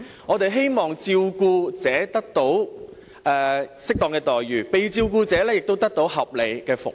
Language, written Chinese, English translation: Cantonese, 我們希望照顧者得到適當的待遇，被照顧者亦得到合理的服務。, We hope that the carers can be suitably remunerated and the ones being taken care of can enjoy reasonable services